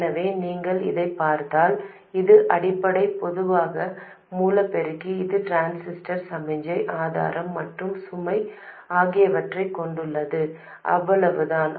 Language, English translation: Tamil, So, if you look at this, this is the basic common source amplifier, it has the transistor, signal source and load, that is all